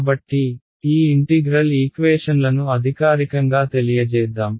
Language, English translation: Telugu, So, let us formally these integral equations